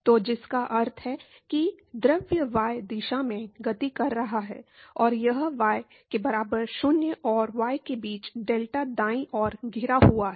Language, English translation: Hindi, So, which means that the fluid is moving in the y direction and it is bounded between y equal to 0 and y equal to delta right